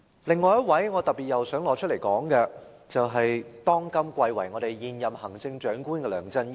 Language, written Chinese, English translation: Cantonese, 另一位我想特別提及的人，是貴為現任行政長官的梁振英。, There is another person whom I would like to mention in particular namely the incumbent Chief Executive LEUNG Chun - ying